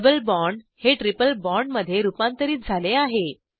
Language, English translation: Marathi, The double bond is converted to a triple bond